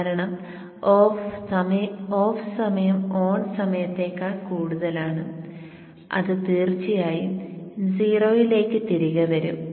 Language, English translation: Malayalam, Less than 50% no problem because the off time is greater than the on time and it will definitely come back to 0